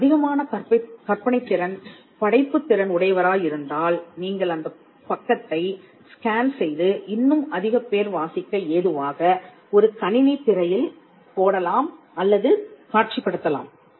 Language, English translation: Tamil, If you are more creative, you could scan the page and put it on a computer screen or project it on a computer screen and whole lot of people can read